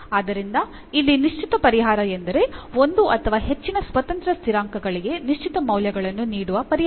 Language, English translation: Kannada, So, here the particular solution means the solution giving particular values to one or more of the independent constants